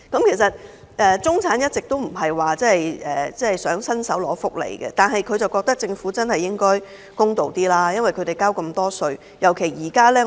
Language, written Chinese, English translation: Cantonese, 其實，中產一直都不想伸手拿福利，但他們覺得政府應該公道一點，因為他們交稅很多。, In fact the middle class has all along been reluctant to ask for welfare benefits . However they want the Government to be fair in view of their huge tax contribution